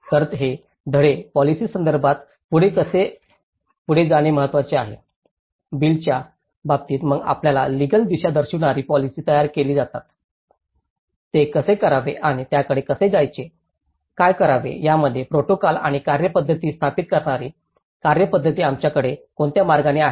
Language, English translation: Marathi, So, how this is very important that these lessons has to take forward in terms of policy, in terms of bills then formulated acts which further provides us a legal direction, how to do it and how to approach it, what to do it, in what way we have to procedure that establishes the protocols and procedures